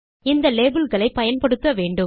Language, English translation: Tamil, You need to use the labels